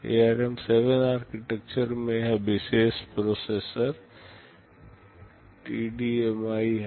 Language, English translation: Hindi, In ARM7 architecture this is one particular processor TDMI